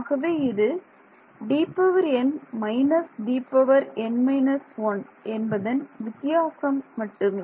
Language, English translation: Tamil, So, it is just the difference D n minus D n minus 1